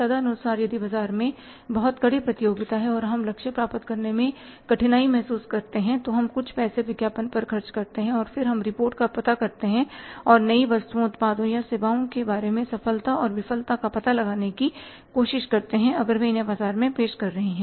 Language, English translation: Hindi, Accordingly if the competition is very stiff in the market and we are finding it difficult to achieve the targets, we spend some money on the advertising and then we try to find out the reports and the success or the failure about the new items, products or services if we are introducing in the market